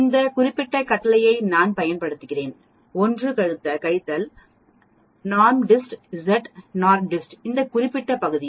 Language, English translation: Tamil, I can use this particular command, 1 minus NORMSDIST Z NORMSDIST this particular area